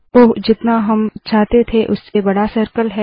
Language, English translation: Hindi, Oops, the circle is larger than what I wanted